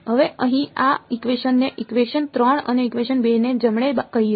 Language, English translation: Gujarati, Now this equation over here let us call as equation 3 and equation 2 right